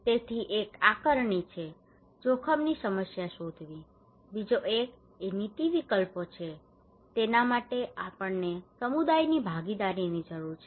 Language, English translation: Gujarati, So one is the assessment, finding the problem of the risk; another one is the policy options, for that we need community participation